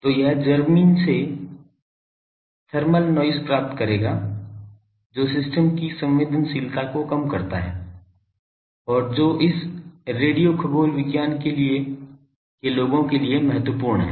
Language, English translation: Hindi, So, it will receive thermal noise from the ground which reduce the sensitivity of the system and that is crucial for this radio astronomy people